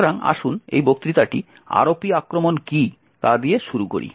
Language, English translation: Bengali, So, let us start this particular lecture with what is the ROP attack